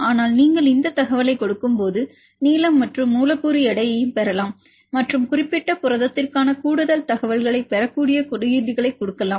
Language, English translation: Tamil, But when you give this information you can also get the length and the molecular weight and give the codes where we can get more information for the particular protein